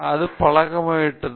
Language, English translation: Tamil, And making a habit out of it